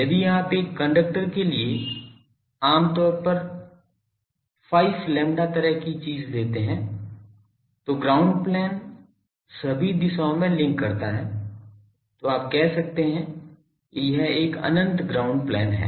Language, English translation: Hindi, If you take generally 5 lambda sort of thing for a conductor that ground plane link in all the directions, then you can say that it is an infinite ground plane